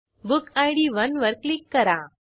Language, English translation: Marathi, Click on book id 1